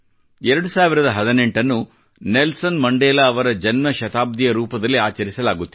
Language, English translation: Kannada, The year2018 is also being celebrated as Birth centenary of Nelson Mandela,also known as 'Madiba'